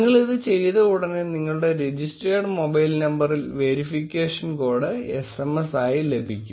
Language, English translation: Malayalam, And as soon as you do that, you will receive a verification code as a SMS on your registered mobile number